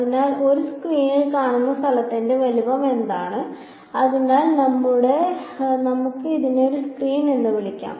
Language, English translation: Malayalam, So, what is the size of the spot that you will see on the screen, so let us call this is as a screen